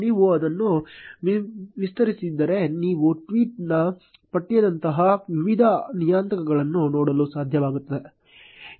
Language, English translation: Kannada, If you expand it you will be able to see various parameters like the text of the tweet